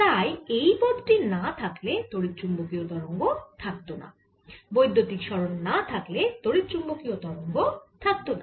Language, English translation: Bengali, so if this term is not there, there will be no electromagnetic waves